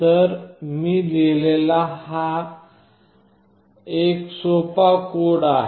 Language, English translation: Marathi, So, this is a simple code that I have written